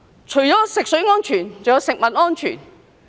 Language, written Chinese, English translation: Cantonese, 除食水安全外，還有食物安全。, Apart from drinking water safety there is also food safety